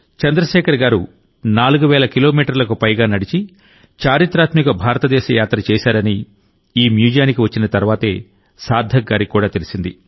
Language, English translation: Telugu, Sarthak ji also came to know only after coming to this museum that Chandrashekhar ji had undertaken the historic Bharat Yatra, walking more than 4 thousand kilometers